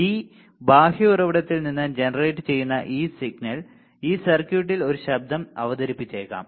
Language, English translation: Malayalam, Then this signal that is generated from this external source may introduce a noise in this circuit